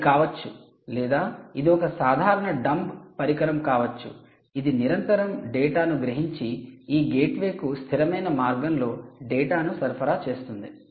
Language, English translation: Telugu, it could be that, or it could be just there also, simple dumb devices, just you know, constantly sensing data and giving it to this, supplying this data constantly to this gateway, ok, so